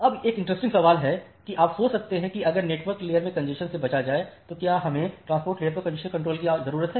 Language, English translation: Hindi, Now one interesting question that you can think of that if congestion avoidance is there in the network layer, do we still need congestion control at the transport layer